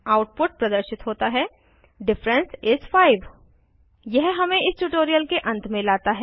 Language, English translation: Hindi, The output is displayed as Diff is 5 This brings us to the end of this tutorial